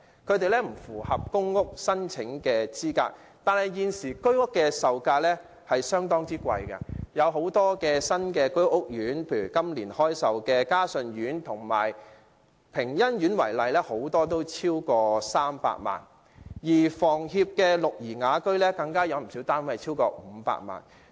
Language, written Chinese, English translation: Cantonese, 他們不符合公屋申請資格，但現時居屋售價相當昂貴，很多新建的居屋屋苑，以今年開售的嘉順苑及屏欣苑為例，很多單位都超過300萬元；而香港房屋協會的綠怡雅苑更有不少單位超過500萬元。, While they are not eligible for PRH the current price level of Home Ownership Scheme HOS flats is very high . Many flats in a number of newly built HOS estates such as Ka Shun Court and Ping Yan Court offered for sale this year are priced at more than 3 million . The price of some flats of the Greenhill Villa developed by the Hong Kong Housing Society HKHS has even exceeded 5 million